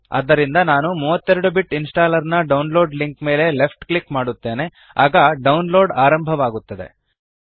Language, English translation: Kannada, So I left click on the download link for 32 Bit Installer and download starts